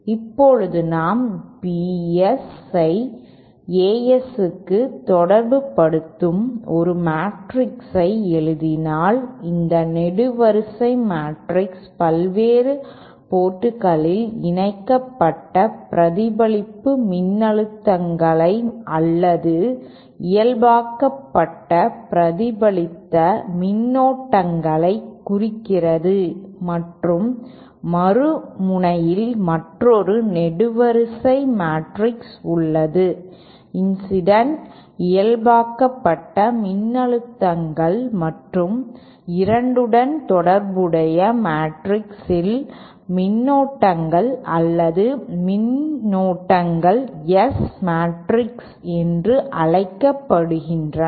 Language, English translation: Tamil, Now if we write a matrix relating the Bs to the As like this so these are the value this column matrix represents the reflect a normalized reflective voltages or normalized reflected currents at the various ports and say at the other end we have another column matrix representing the incident normalized voltages and currents or currents in the matrix that relates the 2 is called a S matrix